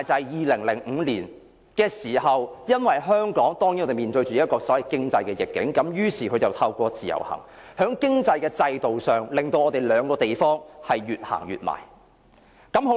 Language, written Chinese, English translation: Cantonese, 2005年香港面對經濟逆境時，於是北京便製造依賴，透過自由行在經濟制度上，令兩個地方越走越近。, In 2005 when Hong Kong was faced with economic adversity Beijing created dependence bringing Hong Kong and the Mainland closer in terms of economic system through the Individual Visit Scheme